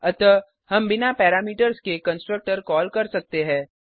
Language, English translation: Hindi, And we are calling a constructor without parameters